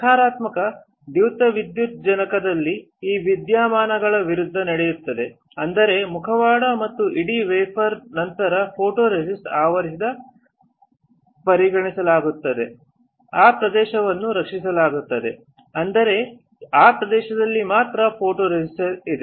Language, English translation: Kannada, In negative photoresist opposite of this phenomena will take place; that means, if you consider that this is a mask and the whole wafer is coated with photoresist then only that area will be protected; that means, only this area has photoresist